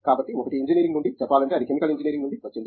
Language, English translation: Telugu, So, one is from engineering if you say, it came from Chemical Engineering